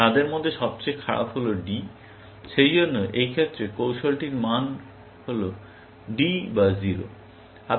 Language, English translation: Bengali, The worst of them is D, and therefore, the value of the strategy is D or 0, in this case